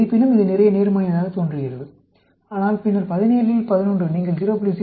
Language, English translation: Tamil, Although, it looks lot of positives, but then, 11 out of 17, when you put a p of 0